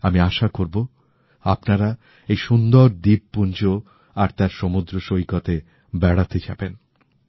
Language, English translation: Bengali, I hope you get the opportunity to visit the picturesque islands and its pristine beaches